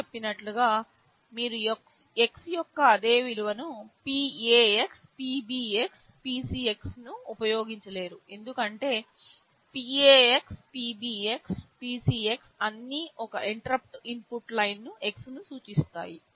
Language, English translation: Telugu, As I said you cannot use PAx, PBx, PCx for the same value of x as interrupt input because PAx, PBx, PCx all refer to the same interrupt input Line x